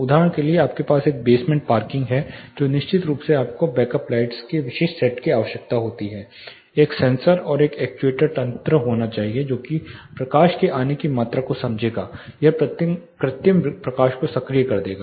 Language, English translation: Hindi, For example, you have a basement parking you definitely need specific set of back up lights there should be a sensor and an actuator mechanism which will sense the amount of light coming in it will actuate the artificial light